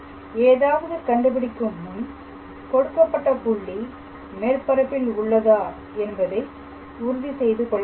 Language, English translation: Tamil, So, before you calculate anything you also have to make sure the given point P lies on the level surface or not